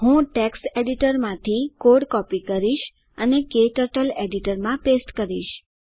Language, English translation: Gujarati, I will copy the code from text editor and paste it into KTurtles editor